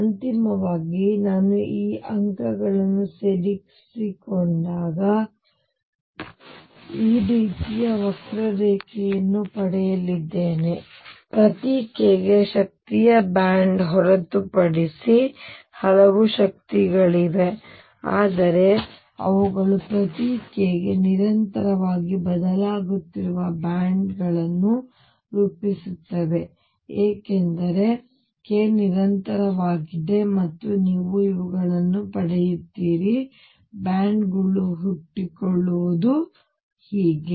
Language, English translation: Kannada, And finally, when I join these points I am going to get a curve like this which is nothing but the energy band for each k there are several energies, but they form bands they continuously changing for each k because k is continuous and you get these bands